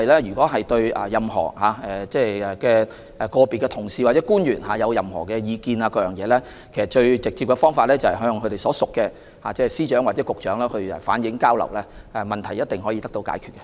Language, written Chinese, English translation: Cantonese, 如果議員對個別同事或官員有任何意見，最直接的方法是向他們所屬的司長或局長反映，問題一定可以得到解決。, If Members have any opinions on our colleagues or individual officials the most direct way is to reflect them to their respective Secretaries of Department or Directors of Bureau and the problem can certainly be solved